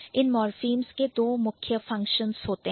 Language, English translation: Hindi, So, these morphems, they have two different functions